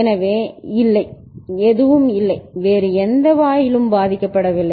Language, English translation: Tamil, So, there is no, nothing, no other gate is getting affected